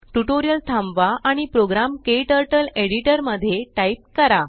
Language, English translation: Marathi, Pause the tutorial and type the program into your KTurtle editor